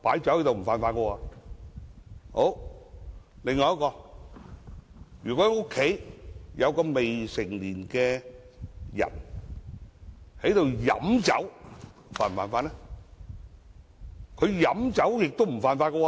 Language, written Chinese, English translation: Cantonese, 另一方面，如果家中有未成年人飲酒，他們是否犯法呢？, Besides will minors break the law if they consume alcohol at home?